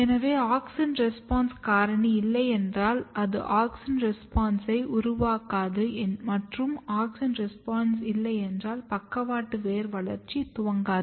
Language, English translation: Tamil, So, if you do not have auxin response factor, you cannot generate auxins response, and when there is no auxin response you cannot initiate lateral root developmental program